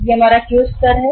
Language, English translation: Hindi, This is our Q level